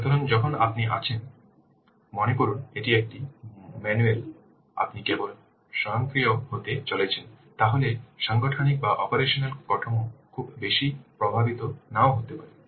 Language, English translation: Bengali, So when you are, say, suppose this is a manual one, you are just going to automate it, then the organizational or the operational structure might not be affected a lot